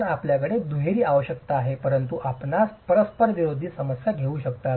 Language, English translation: Marathi, So, you have twin requirements but you could have conflicting problems